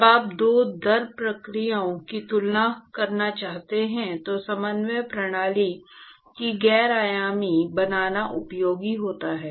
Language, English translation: Hindi, When you want to compare the two rate processes, it is useful to non dimensionalize the coordinate system